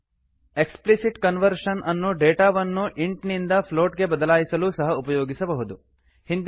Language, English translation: Kannada, Explicit conversion can also be used to convert data from int to float